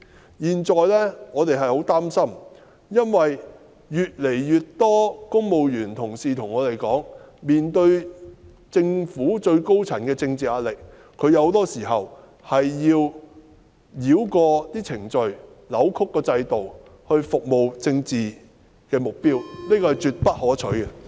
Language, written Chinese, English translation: Cantonese, 我們現在十分擔心，因為越來越多公務員同事向我們表示，面對着政府最高層的政治壓力，他們很多時需要繞過程序、扭曲制度，為政治目標服務，......, We are now very worried because more and more colleagues in the civil service have told us that in the face of political pressure from the top echelon of Government they often have to bypass procedures and distort the system to serve political objectives This is absolutely undesirable